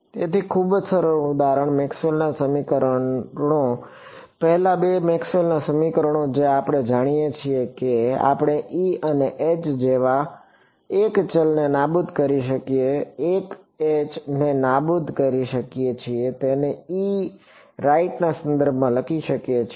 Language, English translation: Gujarati, So very simple example, Maxwell’s equations the first two Maxwell’s equations we know we can eliminate one variable like E and H I can eliminate H and just write it in terms of E right